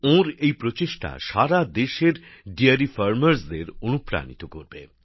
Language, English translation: Bengali, This effort of his is going to inspire dairy farmers across the country